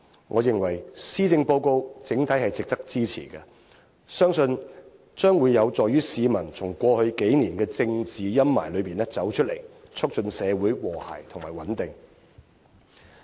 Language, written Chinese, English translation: Cantonese, 我認為，施政報告整體值得支持，相信將會有助於市民從過去幾年的政治陰霾中走出來，促進社會和諧及穩定。, The Policy Address deserves our support in general and I trust it can help us recover from the doldrums in politics over the last few years and promote social harmony and stability